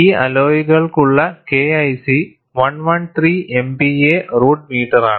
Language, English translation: Malayalam, The K 1 C for this alloy is 113 MPa root meter